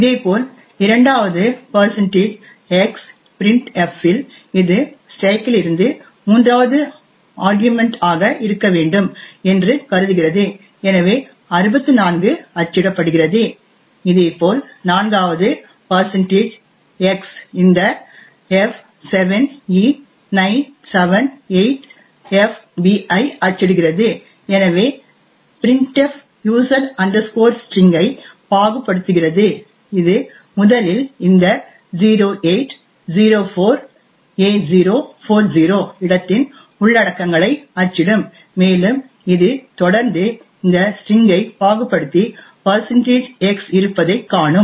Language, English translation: Tamil, Similarly at the second %x printf will assume that it is it has to be the third argument from the stack and therefore 64 gets printed, similarly the fourth %x would print this f7e978fb as printf is parsing user string it would first print the contents of this location which is 0804a040 and it would continue to parse this string and see the there is a %x